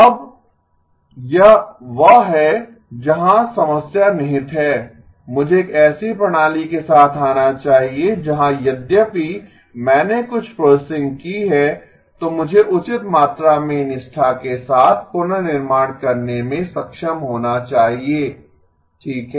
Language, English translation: Hindi, Now that is where the problem lies, I should come up with a system where even if I have done some processing I should be able to reconstruct with a fair amount of fidelity right